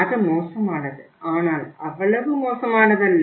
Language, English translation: Tamil, It is bad but not that bad